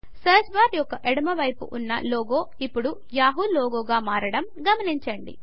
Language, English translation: Telugu, We observe that the logo on the left of the search bar has now changed to the Yahoo logo